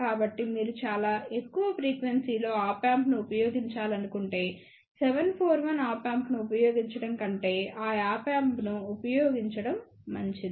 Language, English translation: Telugu, So, if you want to use Op Amp at very high frequency, it is better to use those Op Amp then to use 741 Op Amp